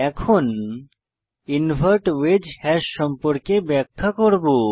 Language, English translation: Bengali, Now I will explain about Invert wedge hashes